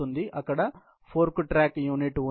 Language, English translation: Telugu, There is a fork track unit again